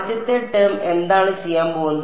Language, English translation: Malayalam, What is the first term going to do